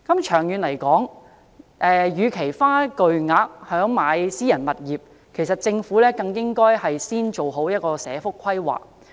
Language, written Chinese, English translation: Cantonese, 長遠來說，與其花巨額資金來購置私人物業，政府更應先做好社福規劃。, In the long run instead of spending huge sums of money on purchasing private properties the Government should conduct proper planning on social welfare